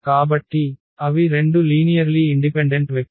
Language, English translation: Telugu, So, they are 2 linearly independent vector